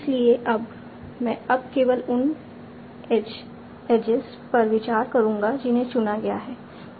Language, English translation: Hindi, So now, I will now consider only those ages that I have been selected